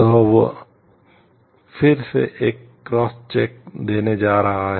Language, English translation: Hindi, So, that is going to give a cross check again